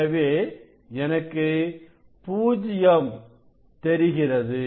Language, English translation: Tamil, 5, so better I will write this 0